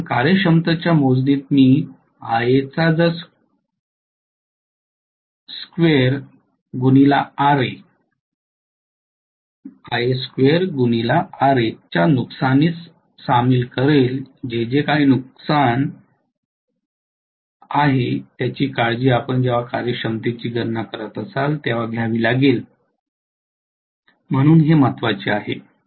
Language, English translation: Marathi, Because efficiency calculation will involve Ia square Ra losses, whatever is the loss there you have to take care of that when you are calculating the efficiency, so this is important